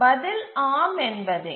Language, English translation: Tamil, The answer is yes